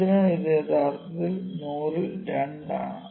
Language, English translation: Malayalam, So, this is 2 out of 100 is just a small number